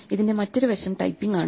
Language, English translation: Malayalam, The other side of this is typ ing